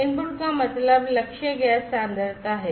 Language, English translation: Hindi, Input means the target gas concentration